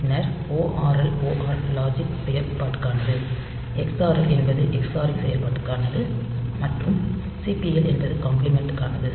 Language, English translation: Tamil, Then we have got ORL for OR logical, XRL for xoring operation, and CPL for compliment